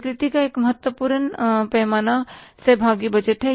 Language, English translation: Hindi, Another important dimension of acceptance is of participatory budgeting